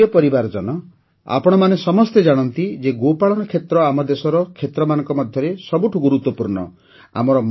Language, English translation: Odia, My family members, you all know that the Dairy Sector is one of the most important sectors of our country